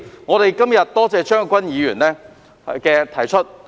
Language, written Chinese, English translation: Cantonese, 我今天感謝張國鈞議員提出議案。, Today I must thank Mr CHEUNG Kwok - kwan for moving this motion